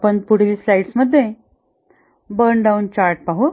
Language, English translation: Marathi, Now let's look at the burn down charts